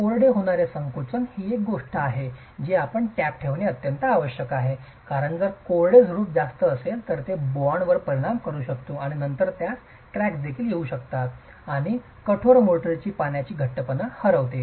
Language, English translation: Marathi, Drying shrinkage is something that you need to keep tab on because if there is too much of drying shrinkage it can affect the bond and then it can also have cracks and the water tightness of the hardened motor is lost